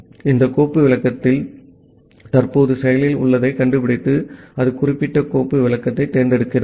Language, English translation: Tamil, So, it finds out that among this file descriptor which one is currently active and it select that particular file descriptor